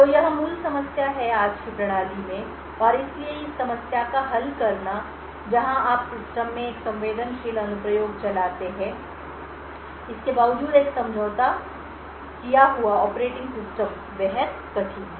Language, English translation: Hindi, So, this is the basic problem in today’s system and therefore solving this problem where you run a sensitive application in the system in spite of a compromised operating system is extremely difficult